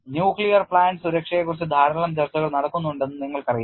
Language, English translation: Malayalam, You know there is lot of discussion goes on about nuclear plant safety